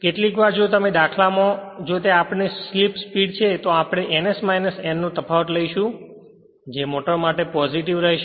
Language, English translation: Gujarati, Sometimes if it is the numerical if it is our slip speed then we will take the difference of these 2 ns minus n right